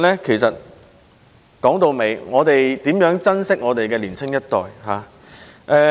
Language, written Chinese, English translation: Cantonese, 其實，說到底就是要珍惜年青一代。, After all it is imperative to treasure our younger generation